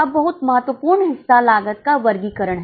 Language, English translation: Hindi, Now, very important part that is cost classification